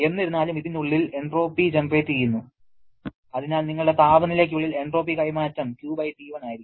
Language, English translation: Malayalam, However, entropy is generated inside this, so inside your temperature will be, entropy transfer will be Q/T1